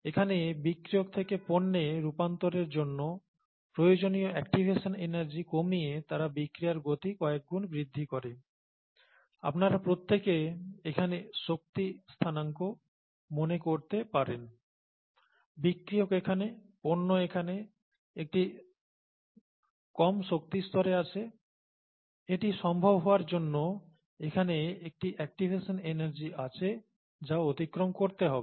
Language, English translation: Bengali, Here, say, they speed of reactions several fold by decreasing the activation energy required for the conversion of reactants to products, you all might remember the reaction coordinate here, the energy coordinate here, the reactants are here, the products are here at a lower energy level, there is an activation energy that needs to be crossed for this to happen